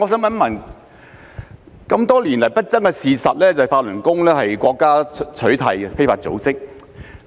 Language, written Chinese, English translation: Cantonese, 然而，多年來不爭的事實是，法輪功是已被國家取締的非法組織。, Nevertheless it has been an indisputable fact for many years that Falun Gong is an illegal organization that has been outlawed by the country